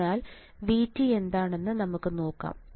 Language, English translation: Malayalam, That so let us see what is V T